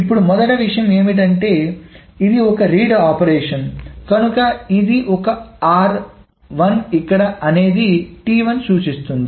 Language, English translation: Telugu, So the first thing is that this is a read operation, that is why this is an R